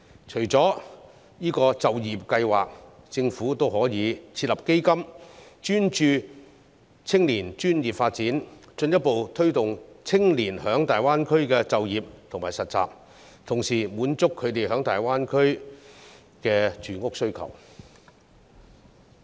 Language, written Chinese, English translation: Cantonese, 除了就業計劃，政府也可以設立基金，專注青年專業發展，進一步推動青年在大灣區的就業和實習，同時滿足他們在大灣區的住屋需求。, Apart from the employment scheme the Government can also set up a fund dedicated to the professional development of young people so as to further promote their employment and internship in the Greater Bay Area and at the same time satisfy their housing needs in the Greater Bay Area